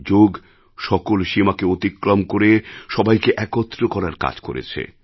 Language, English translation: Bengali, Yoga breaks all barriers of borders and unites people